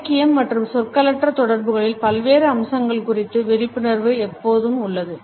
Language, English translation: Tamil, In literature and awareness of different aspects of nonverbal communication has always been there